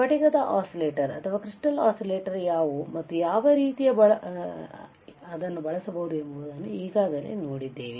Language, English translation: Kannada, We have then seen what are the crystal oscillators, and how what are kind of crystal oscillators that can be used